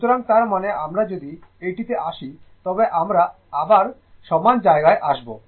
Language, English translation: Bengali, So, that means, if you come here we will come to that again